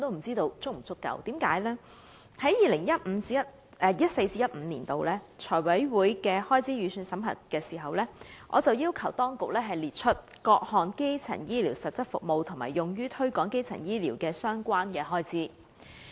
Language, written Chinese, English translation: Cantonese, 在 2014-2015 年度，當財委會審核開支預算時，我曾要求當局列出各項基層醫療實質服務和用於推廣基層醫療服務的相關開支。, When FC was deliberating on the expenditure budget for 2014 - 2015 back then I have asked the Government to set out various substantive items of primary health care services and the expenditures on the promotion of primary health care services